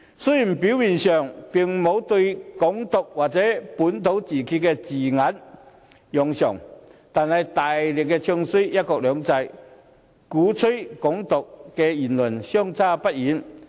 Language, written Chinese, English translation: Cantonese, 雖然表面上並沒有用上"港獨"或本土自決的字眼，但卻大力"唱衰""一國兩制"，與鼓吹"港獨"的言論相差不遠。, Although they do not use words specifying Hong Kong independence or self - determination their active bad - mouthing of one country two systems is not much different from advocating Hong Kong independence